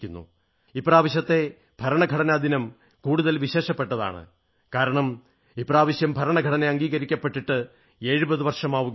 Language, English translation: Malayalam, This year it is even more special as we are completing 70 years of the adoption of the constitution